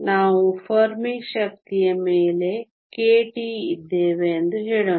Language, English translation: Kannada, Let us say, we are k t above the Fermi energy